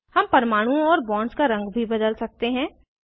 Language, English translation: Hindi, We can also change the colour of atoms and bonds